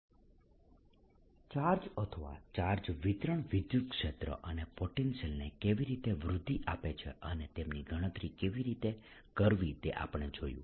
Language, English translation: Gujarati, so far we have looked at how charges or charged distributions give rise to electric field and potential and how to calculate them